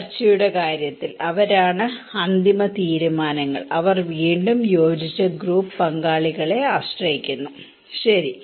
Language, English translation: Malayalam, In case of discussion that is the final decisions, they depend on again cohesive group partners, okay